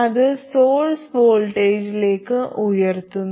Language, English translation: Malayalam, Now what is the voltage at the source